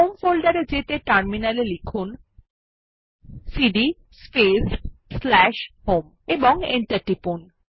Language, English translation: Bengali, Goto home folder on the terminal by typing cd space / home and press Enter